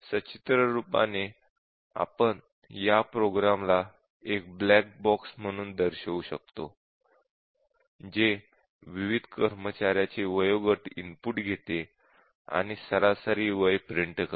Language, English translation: Marathi, So, pictorially we can have represent it as a program a black box which takes all the ages of various employees, and prints out the average age